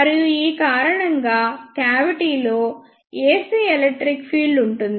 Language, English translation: Telugu, And because of this there will be ac electric field in the cavity